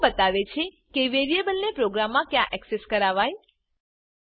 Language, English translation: Gujarati, Scope defines where in a program a variable is accessible